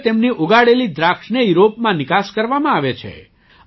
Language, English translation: Gujarati, Now grapes grown there are being exported to Europe as well